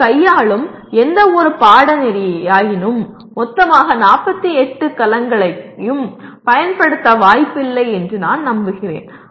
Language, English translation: Tamil, that you are dealing with I am sure that you are unlikely to use all the 48 cells